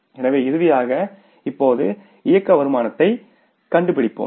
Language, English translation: Tamil, So, finally let us now find out the operating income